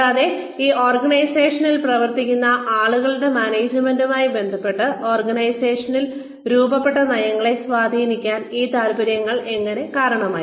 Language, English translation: Malayalam, And then, how these interests led to influence the policies, that were formed in the organization, regarding the management of the people, who were working in these organizations